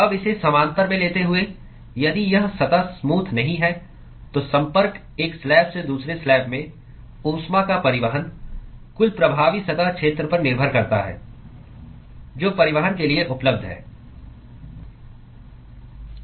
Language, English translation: Hindi, Now taking that parallel here, if this surface is not smooth, then the contact, the transport of heat from one slab to the other depends upon the overall effective surface area which is available for transport